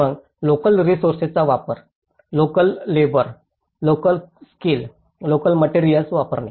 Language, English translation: Marathi, Then, use of local resources; using the local labour, local skills, local materials